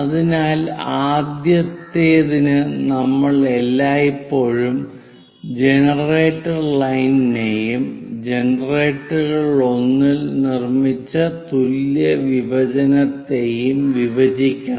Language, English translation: Malayalam, So, for the top one, we always have to intersect generator generator line and the equal division made on one of the generator